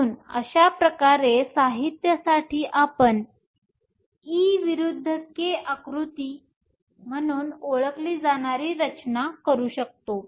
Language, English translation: Marathi, So, thus for materials, you can construct what are known as e versus k diagrams